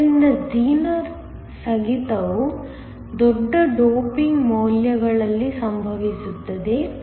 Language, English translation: Kannada, So, the Zener breakdown occurs at large doping values